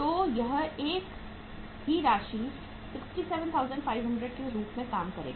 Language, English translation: Hindi, So this will work out as the same amount 67,500